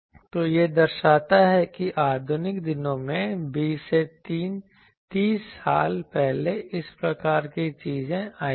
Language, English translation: Hindi, So, this shows that in modern days the actually this 20 30 years back this type of things came